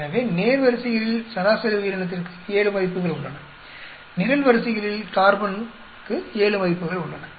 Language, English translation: Tamil, So, we have 7 values for average organism along the rows, 7 for carbon along the columns